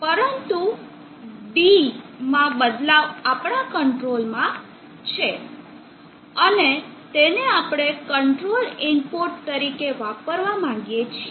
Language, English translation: Gujarati, However, the variation of D is under your control and that is what we would like to use as the control input